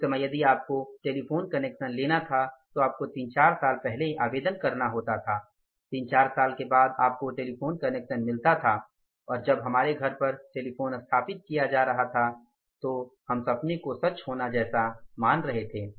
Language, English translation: Hindi, At that time if you had to have a telephone connection you had to apply three four years in advance after three four years you were getting the telephone connection and when telephone was being installed at our home we were considering a dream come true